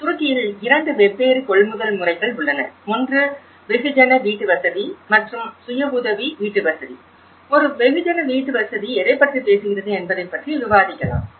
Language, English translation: Tamil, In turkey, there are 2 different methods of procurement; one is mass housing and the self help housing, let’s discuss about what a mass housing talks about